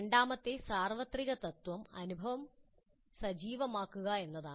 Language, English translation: Malayalam, The second universal principle is activating the experience